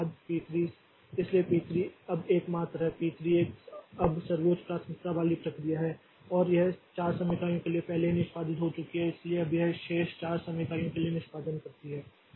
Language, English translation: Hindi, So, P 3 is now is the only, P 3 is now the highest priority process and it has already executed for 4 time units so now it executes the remaining 4 time units